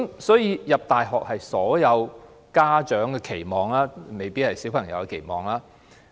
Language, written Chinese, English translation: Cantonese, 所以，入讀大學是所有家長的期望，卻未必是小朋友的期望。, Therefore it is the hope of all parents but not necessarily their children to enter a university